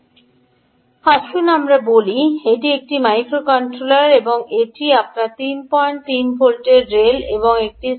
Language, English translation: Bengali, let us say this is a microcontroller, ok, and this is your rail of three point three volts and this is ground ah